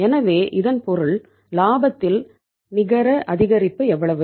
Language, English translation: Tamil, So it means net increase in the profit is how much